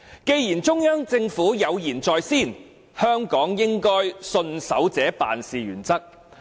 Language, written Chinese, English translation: Cantonese, 既然中央政府有言在先，香港應該信守這辦事原則。, Since the Central Government has made this point clear I think Hong Kong should stand by these principles